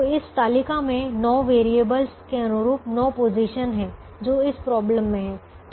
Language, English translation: Hindi, so this table has nine positions corresponding to the nine variables that are there in the problem